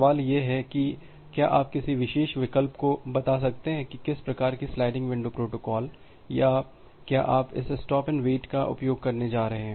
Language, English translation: Hindi, The question comes that can you tell a feasible choice of which particular sliding window type of protocols or whether you are going to use this stop and wait ARQ protocol